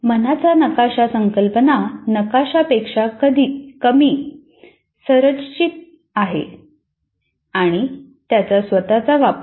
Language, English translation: Marathi, What happens here is the mind map is a very less structured than concept map